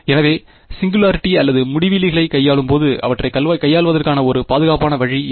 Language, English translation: Tamil, So, when dealing with singularities or infinities what is the one safe way of dealing with them